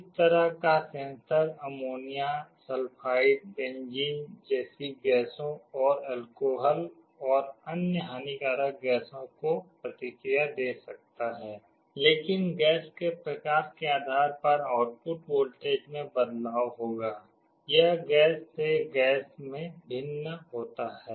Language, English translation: Hindi, This kind of a sensor can respond to gases like ammonia, sulphide, benzene and also alcohol and other harmful gases, but depending on the type of gas, how much change there will be in the output voltage will vary, it varies from gas to gas